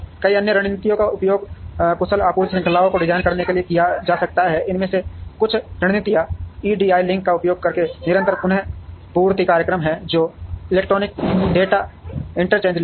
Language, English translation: Hindi, Several other strategies can be used to design efficient supply chains, some of these strategies are continuous replenishment program using EDI links, which is electronic data interchange links